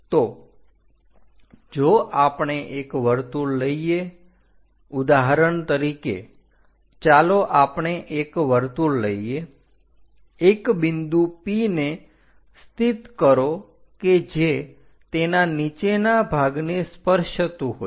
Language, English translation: Gujarati, So, if we are taking a circle, for example, let us pick a circle, locate the first point something like P which is going to touch the bottom